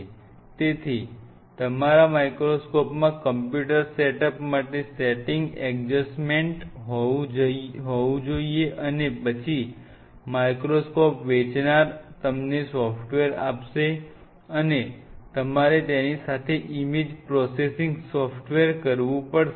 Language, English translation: Gujarati, So, your microscope will have a setting adjustment to it computer setup and then of course, the seller of the compute of the microscope we will provide you the software, and you have to image processor image processing software along with it